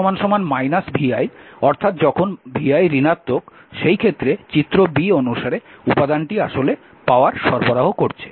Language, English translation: Bengali, So, element your what you call in this case vi negative as figure b the element actually is releasing or supplying power